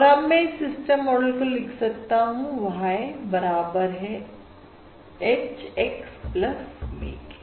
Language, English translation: Hindi, And now I can write the system model as Y equals H, X plus V